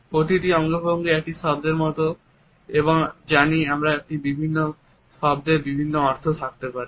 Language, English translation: Bengali, Each gesture is like a single word and as we know a word may have different meaning